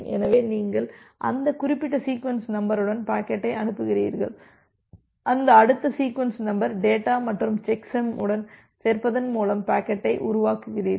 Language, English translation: Tamil, So, you send the packet with that particular sequence number, you construct the packet by appending that next sequence number along with the data and the checksum